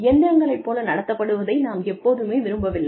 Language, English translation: Tamil, We do not want to be treated, like machines